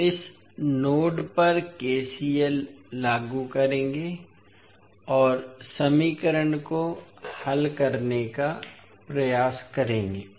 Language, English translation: Hindi, We will apply KCL at this particular node and try to solve the equation